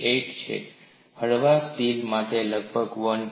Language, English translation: Gujarati, 98, mild steel about 1